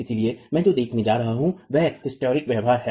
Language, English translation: Hindi, So, what I'm going to be looking at is the hysteric behavior, right